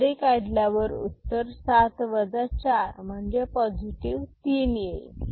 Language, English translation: Marathi, So, remove the carry so 3 so, the answer is 4 positive